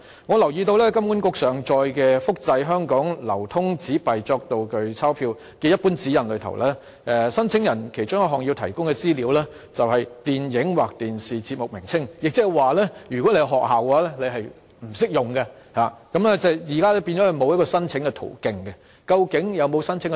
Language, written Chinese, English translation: Cantonese, 我留意到金管局上載的"複製香港流通紙幣作道具鈔票"列明，申請人要提供的其中一項資料是"電影或電視節目名稱"，亦即是說，不適用於學校，即現在學校沒有申請途徑。, I notice that HKMA uploaded onto its website the Reproduction of Hong Kong Currency Notes as Stage Money . The guidelines state that applicants have to provide the name of the film or TV programme concerned; in other words the guidelines are not applicable to schools . Schools do not have a channel to apply for using prop banknotes